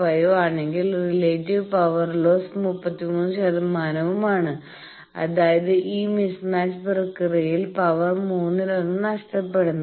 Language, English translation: Malayalam, 5 then, relative power lost is 33 percent; that means, one third of the power is lost in this mismatch process